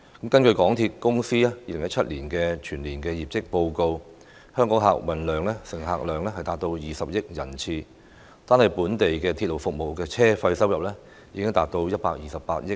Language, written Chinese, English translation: Cantonese, 根據港鐵公司2017年的全年業績報告，香港客運總乘客量達到20億人次，單是本地鐵路服務的車費收入已經達到128億元。, According to the Annual Results Report 2017 of MTRCL the total patronage in Hong Kong reached 2 billion passenger trips and the fare revenue from domestic railway service alone already amounted to 12.8 billion